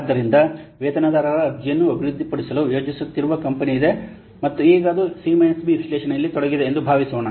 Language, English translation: Kannada, So, suppose there is a company which is planning to develop a payroll application and now currently it is engaged in CB analysis